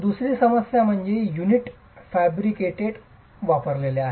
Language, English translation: Marathi, The second problem is the unit is prefabricated and used